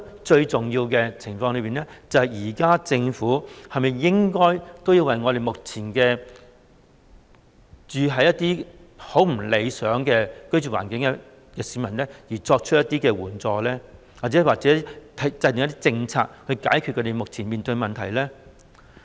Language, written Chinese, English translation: Cantonese, 最重要的是，政府是否應該為目前住在一些不太理想的居住環境的市民提供一些援助，或制訂一些政策以解決他們面對的問題呢？, Most importantly should the Government provide some assistance to the people who currently live in unsatisfactory living conditions or formulate policies to solve the problem they face?